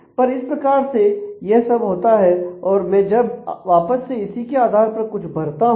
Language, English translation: Hindi, So, that is the all that happens and when I submit again something based on that